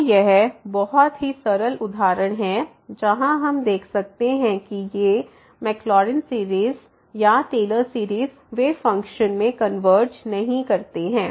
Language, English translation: Hindi, So, it is very simple example where we can see that these Maclaurin or Taylor series they do not converge to the function